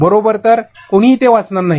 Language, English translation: Marathi, So, nobody is going to read that right